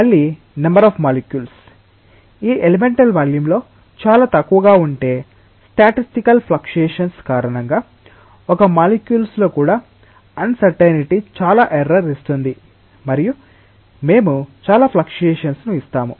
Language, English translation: Telugu, Again, if the number of molecules, if within this elemental volume is very small then because of the statistical fluctuations even uncertainty in one molecule will give a lot of error and we will give a lot of fluctuation